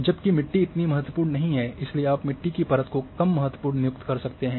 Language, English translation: Hindi, Whereas, you may say the soil is not that important, so you can assign for a soil layer less important